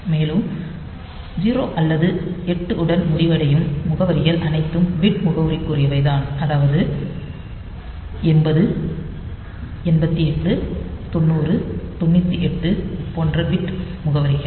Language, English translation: Tamil, So, you see that that addresses which end with 0 or 8 are bit addressable like 8 0 8 8 9 0 9 8